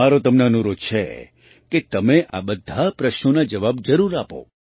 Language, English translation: Gujarati, I urge you to answer all these questions